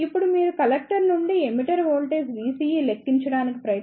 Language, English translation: Telugu, Now, if you try to calculate the collector to emitter voltage V CE